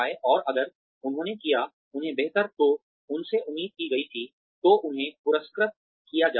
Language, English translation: Hindi, And, if they done, better than, what was expected of them, then they are rewarded